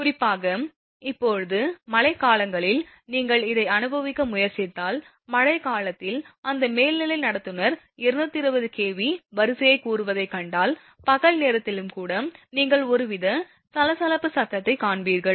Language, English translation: Tamil, Particularly, now in rainy season if you I mean you can if you try to experience this, in rainy season if you see that overhead conductor say 220 kV line, you will find some kind of chattering noise, even in the daytime also that is that is mostly happening due to corona loss